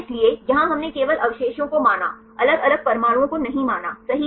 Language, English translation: Hindi, So, here we considered only the residues not different atoms right